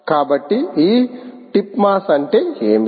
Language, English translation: Telugu, so what about this tip mass